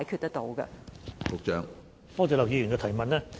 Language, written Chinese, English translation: Cantonese, 多謝劉議員提問。, I thank Dr LAU for raising this question